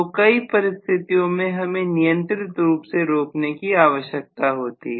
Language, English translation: Hindi, So in many situations, we will require controlled stopping